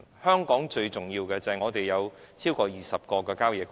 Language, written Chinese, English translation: Cantonese, 香港最重要的旅遊景點，是超過20個的郊野公園。, The most important tourist attraction in Hong Kong is the 20 - odd country parks